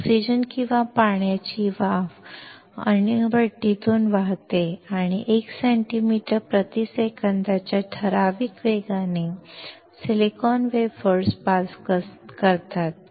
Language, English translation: Marathi, Oxygen or water vapor flows through the reactor and pass the silicon wafers with typical velocity of 1 centimeter per second